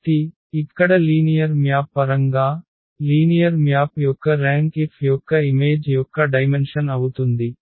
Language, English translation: Telugu, So, here in terms of the linear map, the rank of a linear map will be the dimension of the image of F